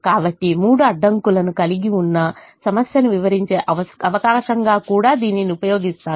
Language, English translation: Telugu, so let me also use this as an opportunity to explain a problem that has three constraints